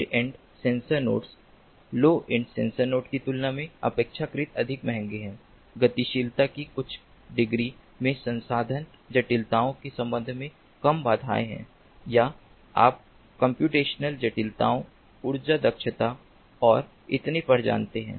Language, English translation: Hindi, mid end sensor nodes, relatively more expensive than the low end sensor nodes, have some degrees of mobility, have fewer constraints with respect to resource complexities or, ah, you know, computational complexities, energy efficiency and so on, and ah, they support different functionalities